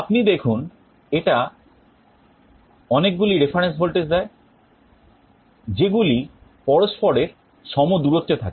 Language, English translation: Bengali, You see it provides a range of a reference voltages equally separated